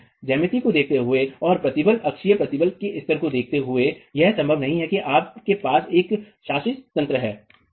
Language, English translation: Hindi, Given geometry and given the level of stress, axial stress, it's not likely that you have one governing mechanism